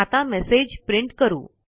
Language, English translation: Marathi, Now, lets print a message